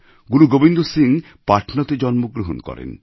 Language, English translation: Bengali, Guru Gobind Singh Ji was born in Patna